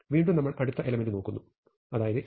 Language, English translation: Malayalam, Now we look at the next element; namely 89